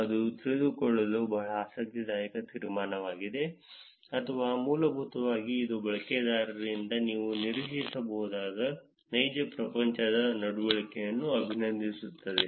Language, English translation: Kannada, That is a very interesting conclusion to know or basically it is complimenting the real world behavior that you could expect from the users